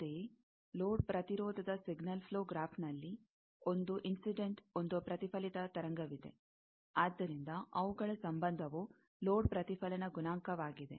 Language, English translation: Kannada, Similarly, signal flow graph of load impedance is load, there is one incident, one reflected wave; so, their relationship is a load reflection coefficient